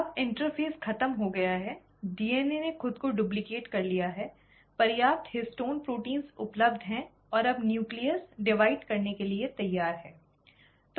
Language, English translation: Hindi, Now the interphase is over, the DNA has duplicated itself, there are sufficient histone proteins available and now the nucleus is ready to divide